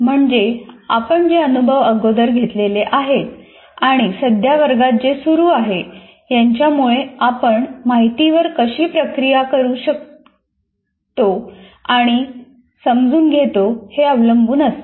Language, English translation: Marathi, That means these experiences through which we have gone through already and whatever there is going on in the classroom, they shape the way we interpret and process information